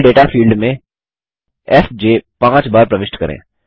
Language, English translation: Hindi, In the Level Data field, enter fj five times